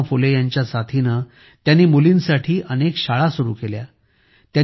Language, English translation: Marathi, Along with Mahatma Phule ji, she started many schools for daughters